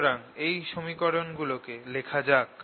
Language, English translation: Bengali, so let's write all these equations again